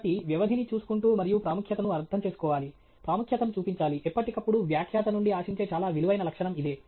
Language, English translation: Telugu, So, keeping track of duration and paying importance, showing importance, to time is a very valuable characteristic that is expected of any presenter okay